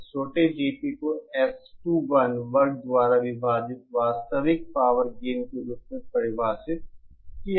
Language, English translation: Hindi, This small GP is defined as the actual power gain divided by S21 square